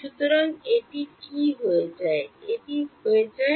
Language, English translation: Bengali, So, this will become what does this become